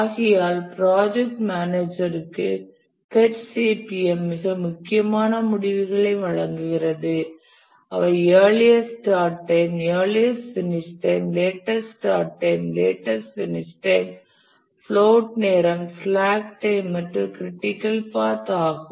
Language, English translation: Tamil, Therefore the PARTCPM provides very important results to the project manager which are the earliest starting time, earliest completion time, latest start time, latest completion time, the float or the slack time and the critical path